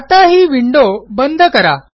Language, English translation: Marathi, Let us close this window